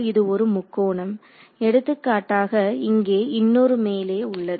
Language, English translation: Tamil, So, this is 1 triangle for example, there will be another triangle over here